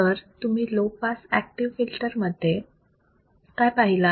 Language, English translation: Marathi, So, when you talk about the low pass active filters what have we seen